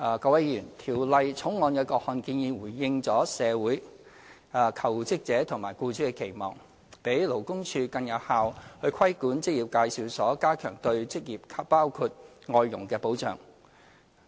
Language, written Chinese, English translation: Cantonese, 各位議員，《條例草案》的各項建議回應了社會、求職者和僱主的期望，讓勞工處更有效地規管職業介紹所，加強對求職者包括外傭的保障。, Honourable Members the Bill with its various proposals has answered the expectations of society jobseekers and employers enabling more effective regulation of employment agencies by LD and enhancing protection for jobseekers including foreign domestic helpers